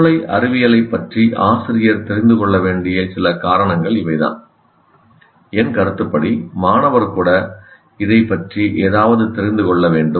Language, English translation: Tamil, Now that is, these are some reasons why, why teachers should know about brain science and in my opinion even the students should know something about it